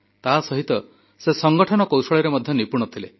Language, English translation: Odia, Along with that, he was also adept at organising skills